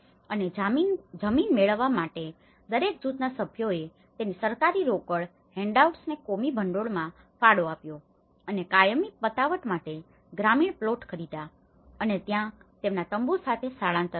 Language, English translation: Gujarati, And in order to obtain the land, each group member contributed its government cash handouts into a communal fund and bought rural plots of land for permanent settlement and moved there with their tents